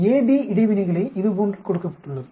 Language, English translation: Tamil, Interaction AB is given like this